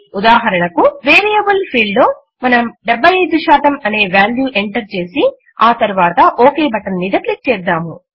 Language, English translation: Telugu, For example,we enter the value as 75% in the Variable field and then click on the OK button